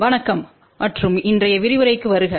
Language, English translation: Tamil, Hello and welcome to today's lecture